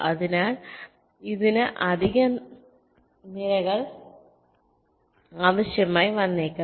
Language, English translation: Malayalam, so it may require additional columns